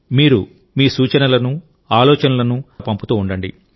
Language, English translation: Telugu, Do keep sending your suggestions and ideas